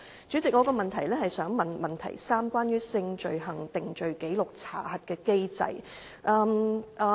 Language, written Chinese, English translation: Cantonese, 主席，我的補充質詢涉及第二部分提到的性罪行定罪紀錄查核機制。, President my supplementary question is concerned with the SCRC Scheme mentioned in part 2